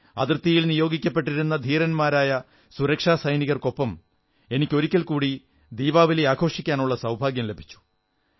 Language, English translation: Malayalam, Luckily I got another chance to celebrate Deepawali with our courageous and brave heart security personnel